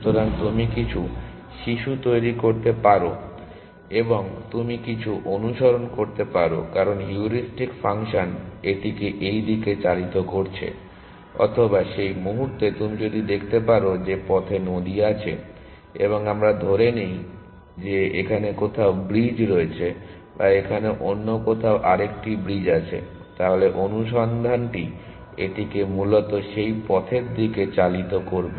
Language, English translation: Bengali, So, you may generate some children and you may follow some path because the heuristic function is driving it in this direction; or at that point you can see that there is the, the river on the way and let us assume that the bridges somewhere here or there is another bridge somewhere here, then the search will drive it towards that path essentially